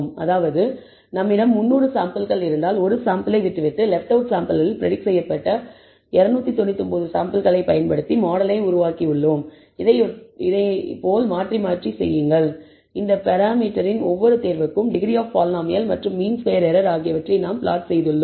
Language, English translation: Tamil, That means, if we have 300 samples we left out one sample, built the model using 299 samples predicted on the sample that is left out do this in turn, average over all of this for every choice of these parameter, degree of the polynomial and mean squared error we have plotted